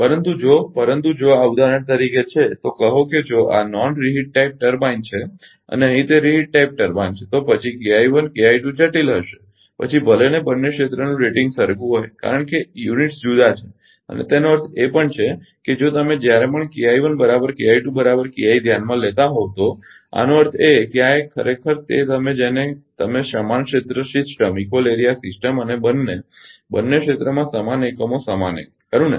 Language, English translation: Gujarati, But, if, but if this is a for example, say if this is the non type turbine and here it is turbine, then K I 1 and K I 2 will be difficult even if the rating of both the areas are same because units are different and even even for that means, if whatever whenever you are considering K I 1 is equal to K I 2 is equal to k i; that means, this 1 actually your what you call equal your equal area system and identical units identical units in the both the both the areas right